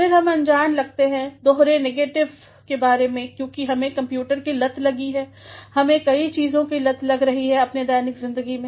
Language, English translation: Hindi, Then we also come across the use of double negatives, because we are getting addicted to computers, we are getting addicted to several sorts of things in our day to day lives